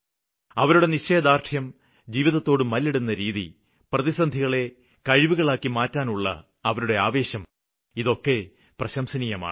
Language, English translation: Malayalam, Their will power, their struggle with life and their zeal to transform crisis into opportunity is worth lot of praise